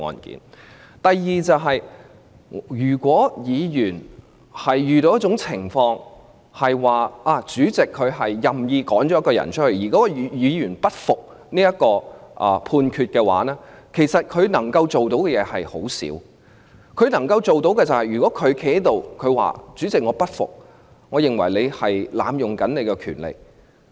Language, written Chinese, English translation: Cantonese, 第二，如果議員被主席任意驅逐，即使該位議員不服裁決，可以做的事情也不多，極其量只能站在會議廳內說："主席，我不服，我認為你濫用權力。, Second in the case of arbitrary expulsion of a Member by a PresidentChairman even if the Member in question does not accept the order there is not much that the Member can do except at best standing in the Chamber and saying PresidentChairman I do not accept it . I think you are abusing your power